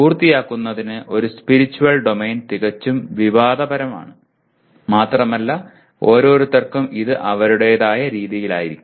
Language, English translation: Malayalam, And for completion one Spiritual Domain is obviously quite controversial and each one will have their own way of looking at it